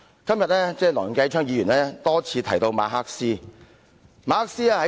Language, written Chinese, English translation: Cantonese, 今天梁繼昌議員多次提到哲學家馬克思。, Today Mr Kenneth LEUNG has mentioned repeatedly the philosopher Karl MARX